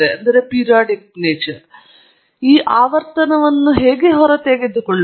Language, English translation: Kannada, Now, how do we extract the frequency